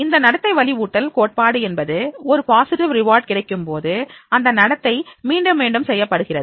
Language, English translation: Tamil, The reinforcement of behavior theory talks about that whenever there is a positive reward, then that behavior is again repeated